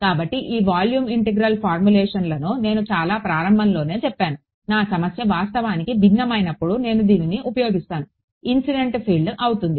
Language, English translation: Telugu, So, these volume integral formulations as I said in the very beginning, when my problem is actually heterogeneous this is what I will use; the incident field is going to be ah